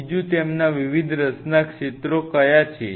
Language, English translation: Gujarati, Second what are their different areas of interest